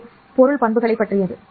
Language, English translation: Tamil, This is about the material properties